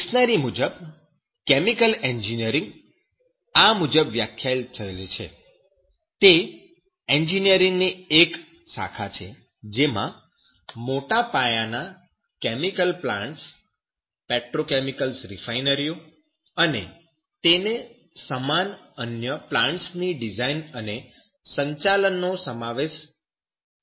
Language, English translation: Gujarati, And as per Dictionary, chemical engineering is defined as; it is a branch of engineering which involves the design and operation of large scale chemical plants petrochemicals, refineries, and the like others